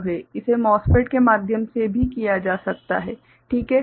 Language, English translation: Hindi, It can be done through MOSFET also right